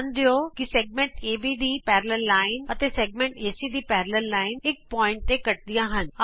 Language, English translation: Punjabi, Notice that the parallel line to segment AB and parallel line to segment AC intersect at a point